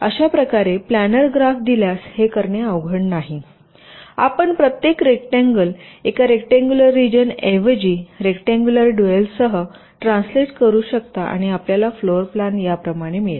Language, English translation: Marathi, you can convert it with a rectangular dual, replacing every vertex by a rectangular region, and you will getting the floor plan like this